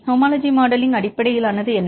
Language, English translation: Tamil, Homology modelling is based on